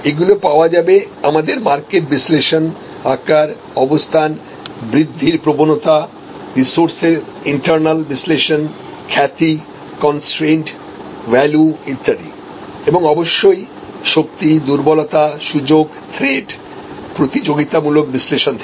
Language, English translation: Bengali, These are derived out of our market analysis, size, , location trends in it etc, in a growth trend, internal analysis of resources, reputation, constrained values etc, and of course, strength, weakness, opportunity, threats, competitive analysis